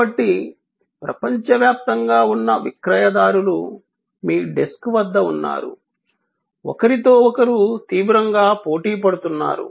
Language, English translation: Telugu, So, the marketers from across the world are at your desk, competing fiercely with each other